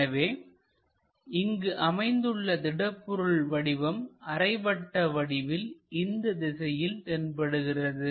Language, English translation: Tamil, So, we will have this material comes and semi circle comes in that direction